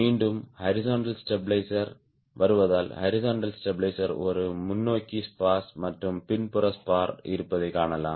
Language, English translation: Tamil, again coming to the horizontal stabilizer, you can see the horizontal stabilizer also has a forward spar and the rears spar